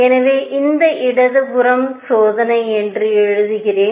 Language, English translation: Tamil, So, let me write this left hand side is experimental